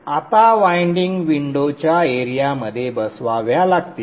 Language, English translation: Marathi, Now the windings will have to fit within the window area